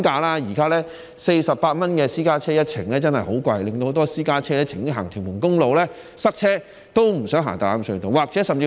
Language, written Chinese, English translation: Cantonese, 現時私家車每程收費48元，的確十分昂貴，很多私家車寧願在屯門公路塞車也不想用大欖隧道。, Of course I hope that there will be toll reduction then . At present private cars are charged 48 per trip which is indeed very expensive . Many drivers would rather be stuck on Tuen Mun Road than using the Tai Lam Tunnel